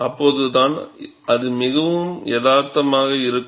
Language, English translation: Tamil, Only then, it will be more realistic